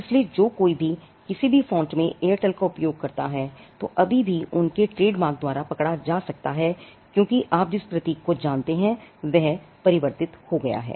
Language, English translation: Hindi, So, anybody who uses Airtel in any font can still be caught by their trademark, but the symbol you know it underwent a transformation